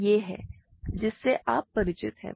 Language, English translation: Hindi, So, this is all something that you are familiar with